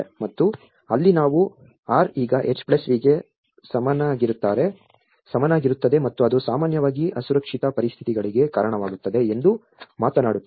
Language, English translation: Kannada, And then that is where we talk about the R is equal to H+V and that often results into the unsafe conditions